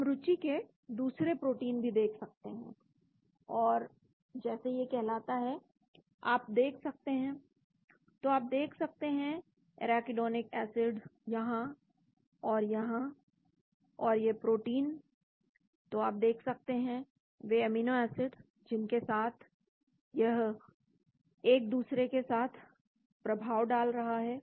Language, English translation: Hindi, We can look at another protein of interest and that is called, you can see this, so you can see the arachidonic acid here and here, and the protein, so you can see the amino acids with which it is interacting